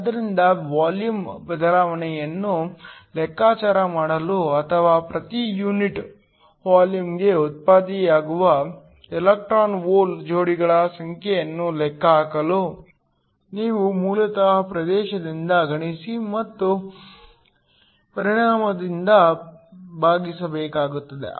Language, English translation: Kannada, So, to calculate the volume change or to calculate the number of the electron hole pairs that are generated per unit volume, you basically need to multiply by the area and also divide by the volume